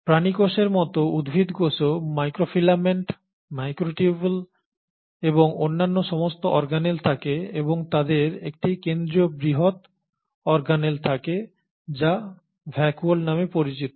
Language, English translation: Bengali, So like animal cells, the plant cells also has microfilaments, microtubules and all the other organelles plus they end up having a central large organelle which is called as the vacuole